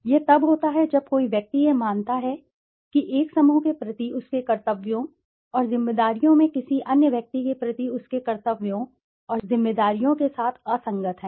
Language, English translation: Hindi, It occurs when an individual perceives that his or her duties and responsibilities towards one group are inconsistent with his or her duties and responsibilities towards some other group including one s self